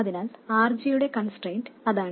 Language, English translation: Malayalam, So that is the constraint on RG